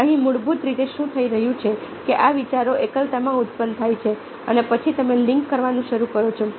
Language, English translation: Gujarati, basically happening over is that these ideas are generated in isolation and then you start linking, you, you try to make connections